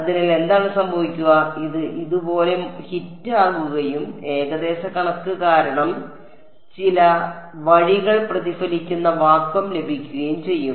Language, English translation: Malayalam, So, what will happen is this hits it like this and due to the approximation some way will get reflected vacuum